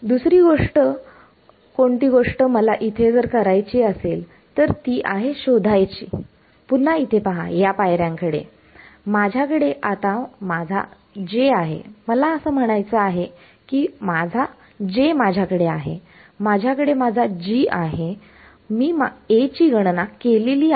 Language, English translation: Marathi, So, the next think that I have to do is find out so, look back over here at the steps I had do I have my J now; I mean I had my J, I had my G, I calculated A